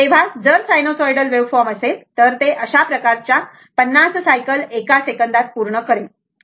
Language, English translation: Marathi, So, if you have sinusoidal waveform, so it will complete 50 such cycles 50 such cycles in 1 second right